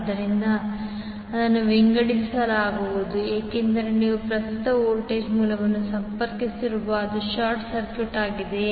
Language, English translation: Kannada, So, this will be sorted because you have a current voltage source connected which was short circuited